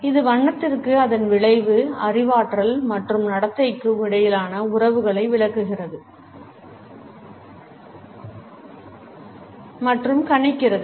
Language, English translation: Tamil, That explains and predicts relations between color and its effect, cognition and behavior